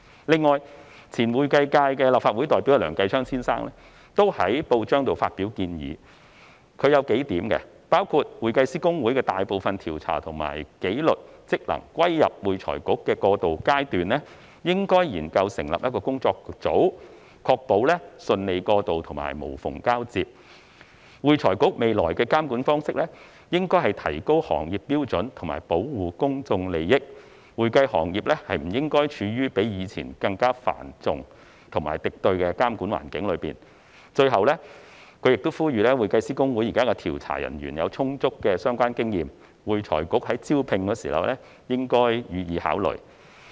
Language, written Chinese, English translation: Cantonese, 此外，前會計界立法會代表梁繼昌先生也在報章上發表建議，他提出了數點，包括：在會計師公會的大部分調查和紀律職能歸入會財局的過渡階段，應該研究成立—個工作組，確保順利過渡和無縫交接；會財局未來的監管方式應該提高行業標準和保護公眾利益，會計行業不應處於比以前更加繁重和敵對的監管環境中；最後，他指出現時會計師公會的調查人員有充足的相關經驗，呼籲會財局在招聘時應予以考慮。, In addition Mr Kenneth LEUNG the former representative of the accountancy constituency in the Legislative Council has put forward his advice in the newspaper . He has raised a few points including the proposal that a study should be conducted on the establishment of a working group at the transitional stage when most of the investigative and disciplinary functions of HKICPA are transferred to AFRC so as to ensure smooth transition and seamless handover . The future regulatory approach of AFRC should raise the standards of the profession and protect public interest and the accounting profession should not be placed in a regulatory environment which is more onerous and hostile than before